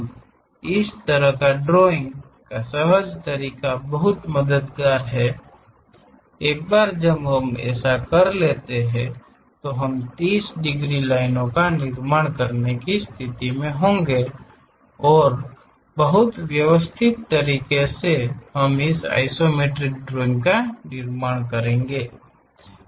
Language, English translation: Hindi, Now this kind of intuitive way of drawing is very helpful, once that is done we will be in a position to construct 30 degrees lines and go ahead and in a very systematic way, we will construct this isometric views